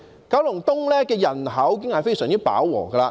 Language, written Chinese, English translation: Cantonese, 九龍東的人口已經非常飽和。, Population has long reached saturation in Kowloon East